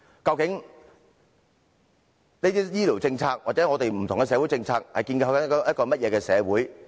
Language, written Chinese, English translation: Cantonese, 究竟這些醫療政策或不同的社會政策正在建構一個怎樣的社會呢？, What kind of society are these healthcare policies or various social policies trying to establish?